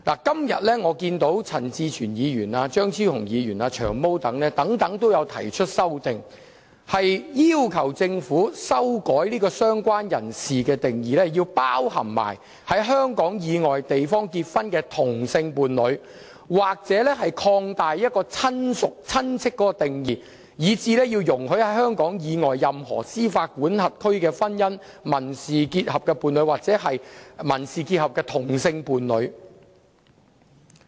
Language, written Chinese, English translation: Cantonese, 今天，陳志全議員、張超雄議員、"長毛"等均提出了修正案，要求政府修改"相關人士"的定義，以涵蓋在香港以外地方結婚的同性伴侶；或擴大"親屬"的定義，以涵蓋在香港以外任何司法管轄區的婚姻、民事伴侶或民事結合的同性伴侶。, Today Mr CHAN Chi - chuen Dr Fernando CHEUNG and Long Hair have proposed amendments requesting the Government to amend the definition of related person to include same - sex partners in a marriage celebrated outside Hong Kong or expand the definition of relative to cover same - sex partners in a marriage civil partnership or civil union celebrated or contracted in any jurisdiction outside Hong Kong